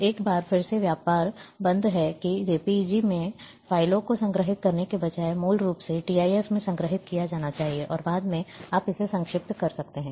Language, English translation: Hindi, So, one there is again trade off that rather than storing files in JPEG, originally one should store in TIF, and later on you can compress